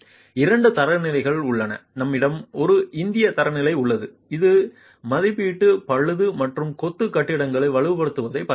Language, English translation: Tamil, There are two standards, we have an Indian standard that looks at evaluation, repair and strengthening of masonry building